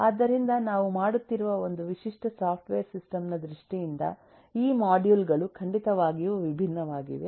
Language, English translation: Kannada, so, in terms of a typical software system that we are doing, the modules are certainly different